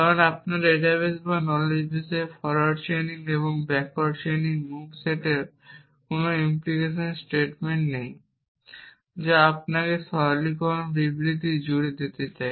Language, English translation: Bengali, Because in your in your data base or knowledge base there are no implication statements both forward chaining and backward chaining move set of allow you to move across simplification statement